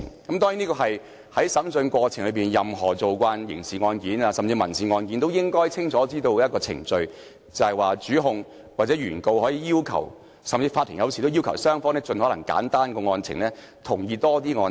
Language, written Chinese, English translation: Cantonese, 當然，任何慣常處理刑事案件或民事案件的律師都應該清楚知道，在審訊過程中，主控或原告可要求，法庭有時也會要求雙方盡可能簡化案情，並提出多一些同意案情。, Of course any lawyers accustomed to handling criminal cases or civil cases should know very well that during a trial the prosecutor or the plaintiff may request―and sometimes the Court will also request―that both parties should simplify the facts of the case as much as possible and propose more agreed facts